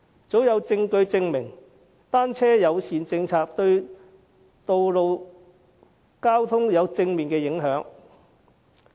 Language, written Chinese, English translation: Cantonese, 早有證據證明，單車友善政策對路面交通有正面影響。, Evidence has long since been available that a bicycle - friendly policy will bring positive impact to road traffic